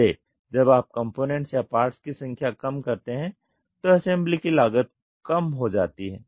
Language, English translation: Hindi, So, minimizing number of components or parts once you minimize the assembly cost is reduced